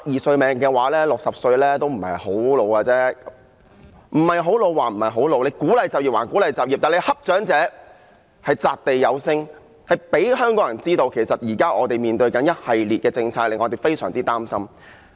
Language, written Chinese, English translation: Cantonese, 即使60歲不是太年老，即使當局鼓勵就業，但當局欺負長者的情況擲地有聲，令香港人知道我們現時要面對一系列政策，這令我們非常擔心。, Even if the age of 60 is not too old and even if the authorities wish to encourage them to work the authorities act of ill - treating the elderly is loud and clear and the people of Hong Kong know that we are now facing a series of resultant policies . We are extremely worried